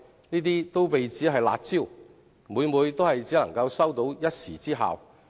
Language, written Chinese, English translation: Cantonese, 這些措施被指為"辣招"，但每每只能收一時之效。, These initiatives are described as curb measures but more often than not their effects are only temporary